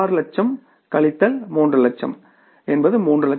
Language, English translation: Tamil, 6 minus 3 is the 3 lakhs